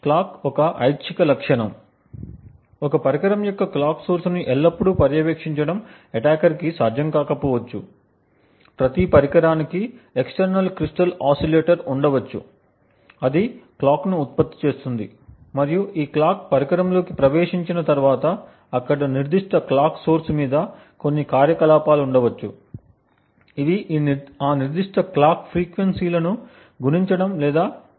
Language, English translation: Telugu, The clock is an optional feature, it may or may not be possible for an attacker to always monitor the clock source for a device, every device would possibly have an external crystal oscillator which generates a clock and once this clock enters into the device there may be some operations on that particular clock source which multiply or divide that particular clock frequencies